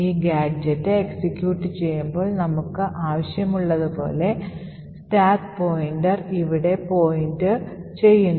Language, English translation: Malayalam, Now when this particular gadget executes, we have the stack pointer pointing here as we want